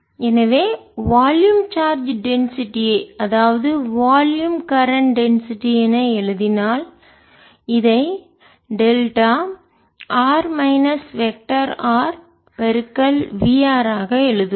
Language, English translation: Tamil, so if we write the volume charge density, volume, current density will like this as delta r minus delta into v r